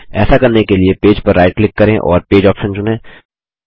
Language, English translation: Hindi, To do this, right click on the page and choose the Page option